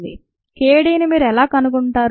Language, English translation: Telugu, how do you find k d to do that